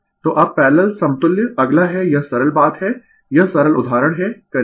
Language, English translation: Hindi, So, now, parallel equivalent, next is this is the simple thing right this is the simple example will do